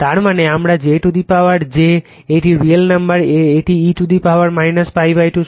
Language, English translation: Bengali, That means; that means, my j to the power j to the power j , is a real number it is e to the power minus pi by 2 right